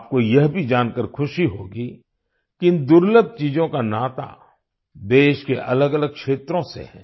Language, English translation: Hindi, You will also be happy to know that these rare items are related to different regions of the country